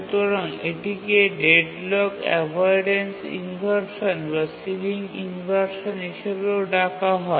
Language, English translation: Bengali, This is also called as deadlocked avoidance inversion or ceiling related inversion, etc